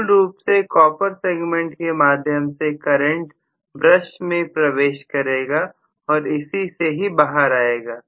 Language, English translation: Hindi, Essentially the copper segment is going to pass the current into the brush and it is going out